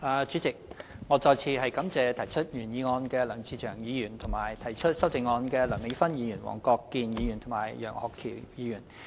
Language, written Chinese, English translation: Cantonese, 主席，我再次感謝提出原議案的梁志祥議員，以及提出修正案的梁美芬議員、黃國健議員和楊岳橋議員。, President I would like to thank Mr LEUNG Che - cheung for moving the original motion and Dr Priscilla LEUNG Mr WONG Kwok - kin and Mr Alvin YEUNG for proposing the amendments